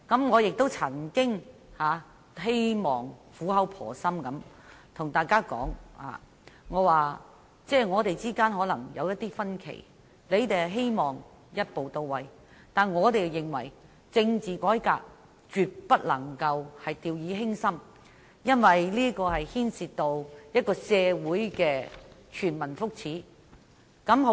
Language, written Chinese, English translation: Cantonese, 我曾苦口婆心對大家說，我們之間可能有一些分歧，他們希望一步到位，而我們則認為政治改革絕不能掉以輕心，因為這牽涉到一個社會的全民福祉。, Back then I earnestly said that there might be differences between us . While opposition Members hoped that reforms could be made in one stride we considered that we should not handle constitutional reform lightly because it would affect the well - being of everyone in society